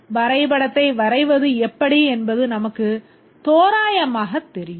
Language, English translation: Tamil, We approximately know how to go about drawing the diagram